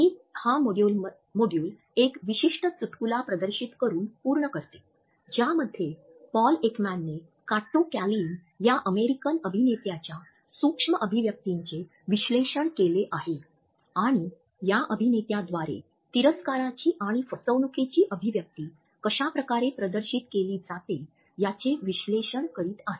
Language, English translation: Marathi, I conclude this module by displaying this particular snippet in which Paul Ekman is analyzing an American actor Kato Kaelins micro expressions and he is analyzing how the expressions of disgust and his con are displayed by this actor